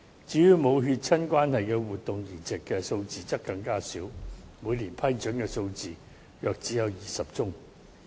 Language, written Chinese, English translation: Cantonese, 至於無血親關係的活體移植數字則更加少，每年批准的數字只有約20宗。, The living organ transplants among people who are not genetically related are even fewer only about 20 cases are approved on a yearly basis